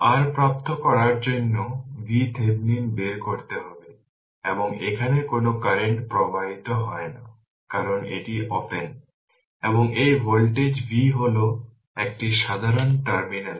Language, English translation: Bengali, So, we first we have to obtain your what you call V Thevenin right and no current is flowing here because this is open, and this voltage is V means this is a common terminal